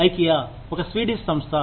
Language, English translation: Telugu, Ikea is a Swedish organization